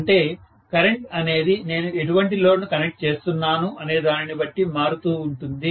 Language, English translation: Telugu, So, the current is the variable one depending upon what kind of load I have connected, right